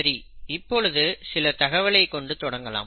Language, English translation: Tamil, Let us start with some data